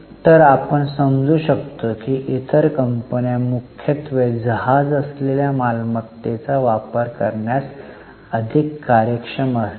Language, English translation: Marathi, So, you can understand that other companies are more efficient in utilizing their asset, which is mainly the ship